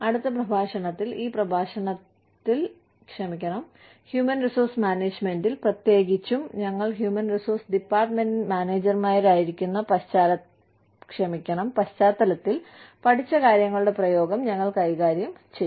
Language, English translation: Malayalam, In the next lecture, we will deal with, the application of whatever, we have studied in this lecture, in human resources management, specifically in the context of, us being managers, in the human resources department